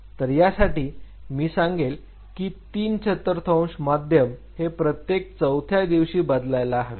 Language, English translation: Marathi, So, I would say three forth of a media may change every fourth day likewise